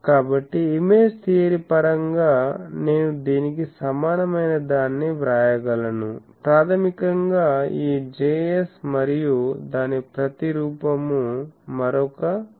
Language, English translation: Telugu, So, the by invoking image theory I can write that equivalent to this is; basically this Js and the image of that will be another Js